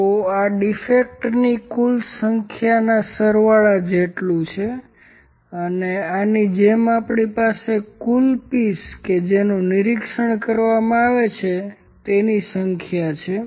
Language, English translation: Gujarati, So, this is equal to sum of total number of defects, and similar to this we have total number of species which are inspected